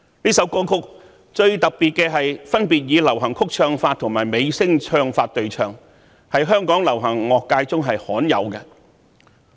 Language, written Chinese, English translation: Cantonese, 這首歌曲的最特別之處是以流行曲唱法和美聲唱法對唱，在香港流行樂界屬罕有之作。, The most special feature of this song is that it is a duet using both pop singing techniques and bel canto style of singing and this is a very rare example in the pop music sector of Hong Kong